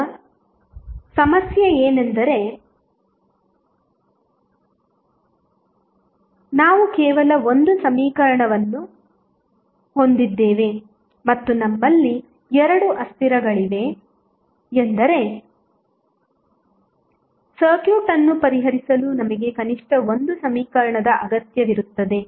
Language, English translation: Kannada, Now, the problem would be that since we have only one equation and we have two variables means we need at least one more equation to solve this circuit